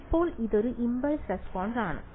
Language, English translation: Malayalam, Now, this impulse response is